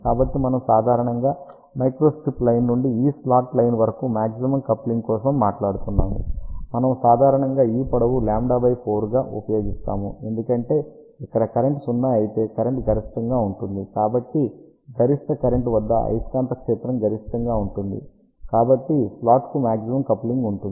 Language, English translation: Telugu, So, we generally speaking for maximum coupling from microstrip line to this slot line, we generally use this length to be approximately lambda by 4, because if current is zero here current will be maximum, so for maximum current magnetic field will be maximum, so there will be maximum coupling to the slot